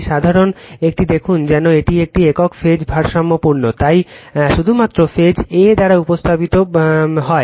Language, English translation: Bengali, A simple a see as if it is a single phase balanced, so represented by only phase a right